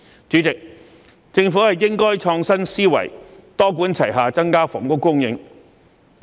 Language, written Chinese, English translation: Cantonese, 主席，政府應該創新思維，多管齊下增加房屋供應。, President the Government should adopt an innovative mindset to increase housing supply through a multi - pronged approach